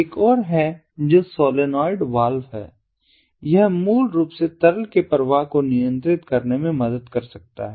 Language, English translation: Hindi, there is another one, which is the solenoid ah valve and ah, um, this basically can help in controlling the flow of liquid